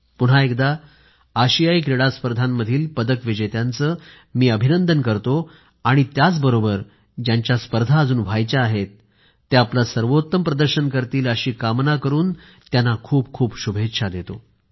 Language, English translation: Marathi, Once again, I congratulate the medal winners at the Asian Games and also wish the remaining players perform well